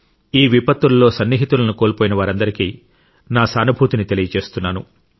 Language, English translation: Telugu, My heart goes out to all the people who've lost their near and dear ones